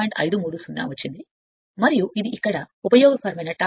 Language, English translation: Telugu, 53, and this isyour useful torque here